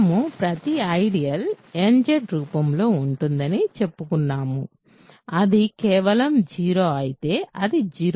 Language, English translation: Telugu, So, we are done we have we are claiming that every ideal is of the form nZ, if it is simply 0 then it is 0Z